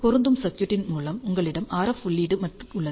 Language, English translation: Tamil, You have an RF input through a matching circuit